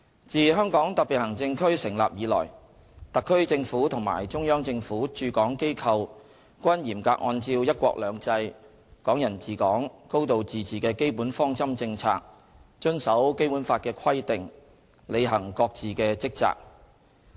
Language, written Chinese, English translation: Cantonese, 自香港特別行政區成立以來，特區政府和中央政府駐港機構均嚴格按照"一國兩制"、"港人治港"、"高度自治"的基本方針政策，遵守《基本法》的規定，履行各自的職責。, Since the establishment of HKSAR the HKSAR Government and the offices set up by CPG in HKSAR have been acting in strict accordance with the basic policies of one country two systems Hong Kong people administering Hong Kong and a high degree of autonomy as well as complying with the provisions of the Basic Law in performing their respective duties